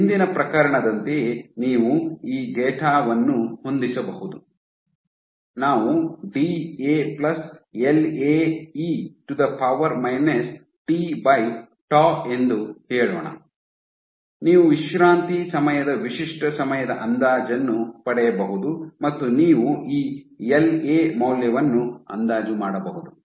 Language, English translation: Kannada, So, just like previous case you can fit this data with let us say D a plus L a e to the power minus t by tau, you can get an estimate of the characteristic time constant of relaxation and also you can estimate this L a value